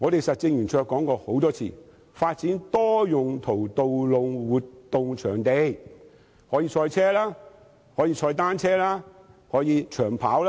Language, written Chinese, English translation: Cantonese, 實政圓桌曾多次建議發展多用途道路活動場地，可以賽車、踏單車及長跑。, Roundtable has repeatedly proposed the development of a multi - purpose venue for holding road events . It can be used for motor racing cycling and long - distance running